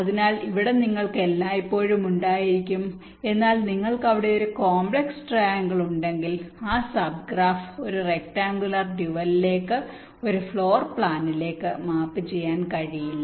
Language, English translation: Malayalam, but if you have a complex triangle there, you cannot map that sub graph into a rectangular dual, into a floor plan